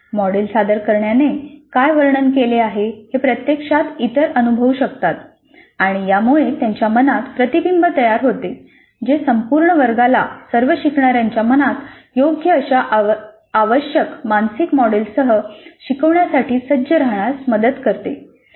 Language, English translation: Marathi, Others can actually experience what someone who is presenting the model describes and it stimulates similar recollection in them which helps the entire class to be ready with proper requisite mental models invoked in the minds of all the learners